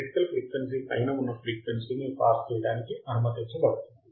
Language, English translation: Telugu, Frequency which is above my critical frequency is allowed to pass